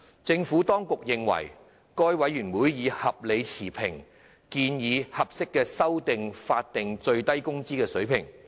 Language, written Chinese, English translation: Cantonese, 政府當局認為，該委員會已合理持平地建議合適的法定最低工資水平修訂。, The Administration holds that MWC has proposed appropriate amendments to SMW in a reasonable and unbiased manner